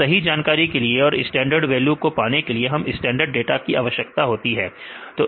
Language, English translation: Hindi, So, for getting this information right to get the standard values, we need to have a standard set up data right